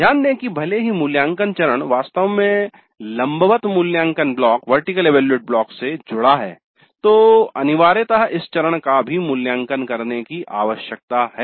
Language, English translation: Hindi, Note that even the evaluate phase itself actually is connected to the vertical evaluate block which essentially means that even this phase needs to be evaluated